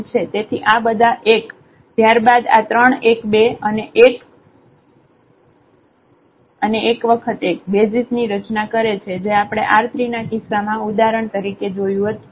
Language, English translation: Gujarati, So, all 1 and then these three 1’s two 1’s and 1’s so, they form a basis which we have seen for instance in the case of this R 3